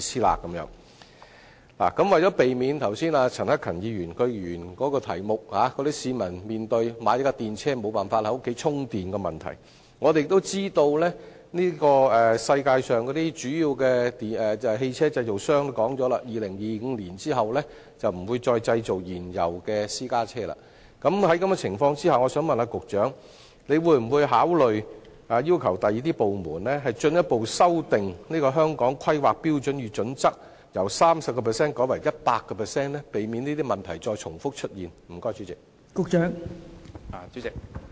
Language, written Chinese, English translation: Cantonese, 為了避免剛才陳克勤議員在主體質詢指出，市民面對購買電動車後無法在屋苑充電的問題，加上我們知道，全球主要汽車製造商均已表明在2025年後不會再製造燃油私家車，請問局長會否考慮要求其他部門進一步修訂《香港規劃標準與準則》，將建議的 30% 改為 100%， 從而避免重複出現這些問題？, As pointed out by Mr CHAN Hak - kan in his main question the public are facing the problem of unavailability of charging facilities in their housing estates upon their purchase of EVs . Moreover we have learnt that major vehicle manufacturers around the world have announced ceasing the production of petroleum private cars in 2025 . In view of these may I ask the Secretary whether he will consider requesting other departments to make further amendments to the Hong Kong Planning Standards and Guidelines to increase the proposed percentage from 30 % to 100 % so as to pre - empt the recurrence of the aforementioned problems?